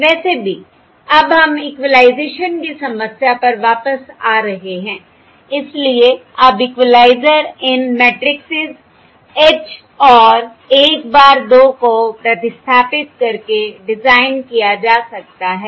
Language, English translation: Hindi, so now the equaliser can be designed by substituting these matrixes, H and 1 bar 2